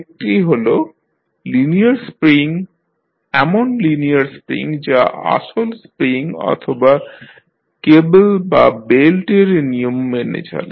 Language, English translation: Bengali, One is linear spring, so linear spring is the model of actual spring or a compliance of cable or belt